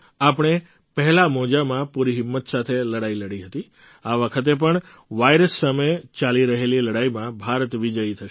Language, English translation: Gujarati, In the first wave, we fought courageously; this time too India will be victorious in the ongoing fight against the virus